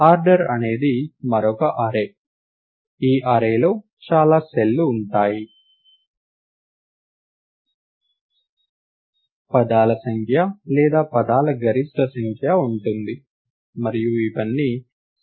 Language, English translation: Telugu, cells in this array, as there are the number of words or the maximum number of words, and all of them are initialized to 0